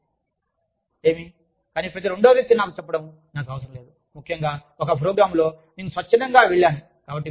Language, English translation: Telugu, So, what, but i do not need, every second person telling me, that especially in a program, that i have gone voluntarily